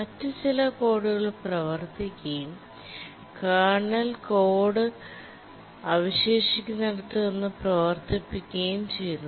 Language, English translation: Malayalam, Some other code runs and then starts running the kernel code where it left